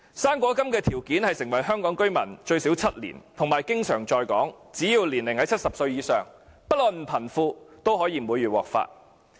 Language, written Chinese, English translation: Cantonese, "生果金"的申請條件是申請者已成為香港居民最少7年，並且經常在港，只要年齡在70歲以上，不論貧富也可以每月獲發。, Such an approach is more practical . According to the application requirements for the fruit grant an applicant must have been a Hong Kong resident for at least seven years and be ordinarily resident in Hong Kong . Provided that he is aged over 70 he will receive it every month regardless of rich or poor